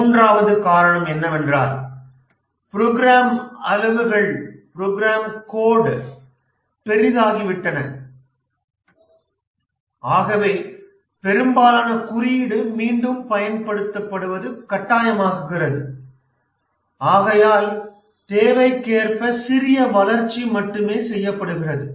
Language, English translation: Tamil, The third reason is that the program sizes have become large and therefore it is imperative that most of the code is reused and only small development is done, small customization to complete the work